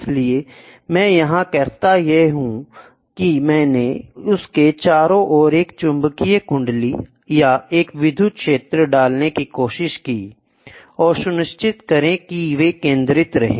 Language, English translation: Hindi, So, what I do is, I tried to put a magnetic coil around it or an electric field, and make sure that they are focused